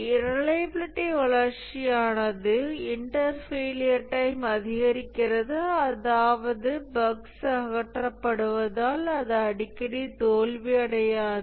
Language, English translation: Tamil, I'm sorry, there is a reliability growth, the inter failure times increases, that is, it does not fail as often because bugs are being removed